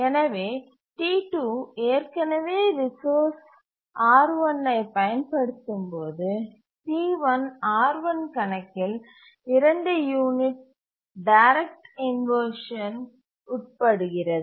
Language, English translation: Tamil, T1 uses the resource R1 and if T2 is already using the resource it would have to wait for two units